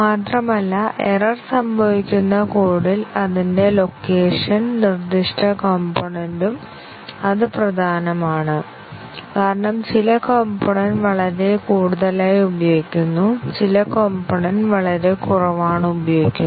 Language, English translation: Malayalam, And, not only that, the location at which the, in the code, at which the error occurs, the specific components, that is also important; because, some components are used very heavily and some components are used very less